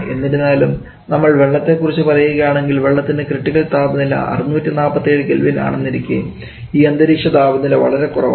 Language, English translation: Malayalam, However, if we talk about water, which is a critical temperature of 647 Kelvin then this atmospheric temperature is too small